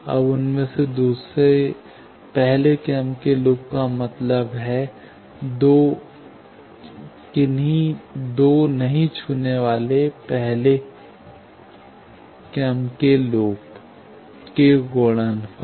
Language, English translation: Hindi, Second order loop is product of any two non touching first order loop